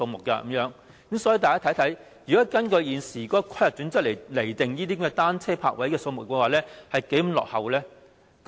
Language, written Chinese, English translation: Cantonese, 大家看看，如果根據現時的規劃準則來釐定單車泊位的數目，是多麼的落後。, As we can see the determination of the number of bicycle parking spaces based on the existing planning standards is so out - of - date